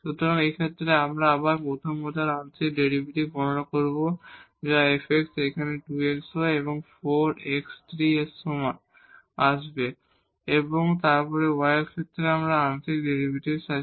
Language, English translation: Bengali, So, in this case we will again compute the first order partial derivative which is f x is equal to here 2 xy and 4 x cube, will come and then we have the partial derivative with respect to y